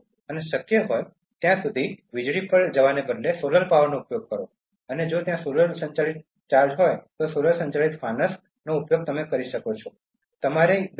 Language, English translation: Gujarati, And use solar power instead of going for electricity as far as possible and if there is solar powered charges, solar powered lanterns you can use them